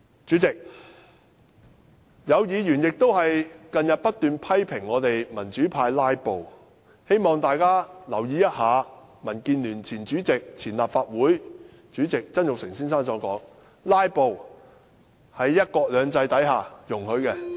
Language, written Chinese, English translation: Cantonese, 主席，有議員近日不斷批評我們民主派"拉布"，希望大家留意，民建聯前主席兼立法會前主席曾鈺成先生的說話，他說，"拉布"在"一國兩制"下是容許的。, President in recent days some Members have been criticizing the democratic camp for filibustering . I wish to draw Members attention to the remark made by Jasper TSANG the former Chairman of the Democratic Alliance for the Betterment and Progress of Hong Kong and the former President of the Legislative Council . He says that filibustering is allowed under one country two systems